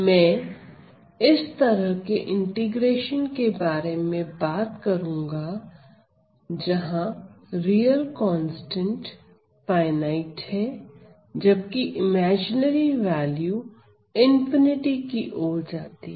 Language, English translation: Hindi, So, I am going to talk about this sort of an integration where the real constant is finite while the imaginary value goes to infinity